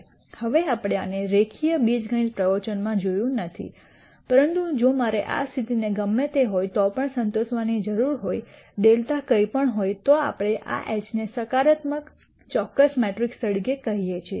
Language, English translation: Gujarati, Now, we did not see this in the linear algebra lectures, but if I need this condition to be satisfied irrespective of whatever delta is then we call this H as a positive definite matrix